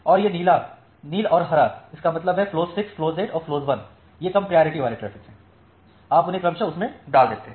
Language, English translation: Hindi, And this blue, indigo and green; that means, flow 6 flow 8 and flow 1 they are the low priority traffic so, you put them in that respectively